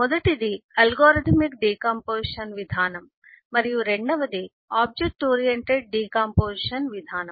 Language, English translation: Telugu, first is the algorithmic decomposition approach and the second is the object oriented decomposition approach